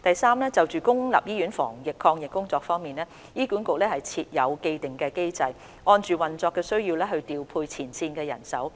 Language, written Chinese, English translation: Cantonese, 三就公立醫院防疫抗疫工作方面，醫管局設有既定機制，按運作需要調配前線醫護人手。, 3 As regards the work of public hospitals in prevention and control HA has put in place an established mechanism to deploy manpower of frontline staff to meet operational needs